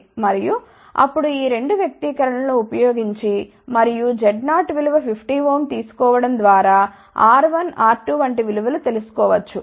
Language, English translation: Telugu, And, then by using these 2 expressions I am taking Z 0 as 50 ohm R 1 R 2 values are obtained